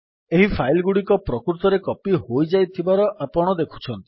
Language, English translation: Odia, You see that these files have actually been copied